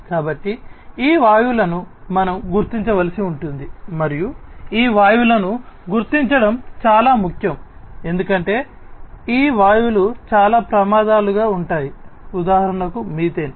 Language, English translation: Telugu, So, these gases we will have to be detected and it is very important to detect these gases, because many of these gases can pose as hazards, because for example, methane